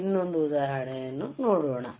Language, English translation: Kannada, Let us see another thing